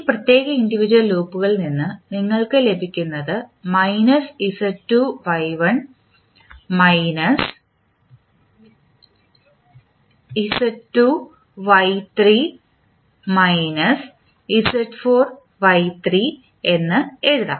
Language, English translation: Malayalam, So, there will be three loops which you will see, so this is Z2 minus Y1, Y3 minus Z2 and Z4 minus Y3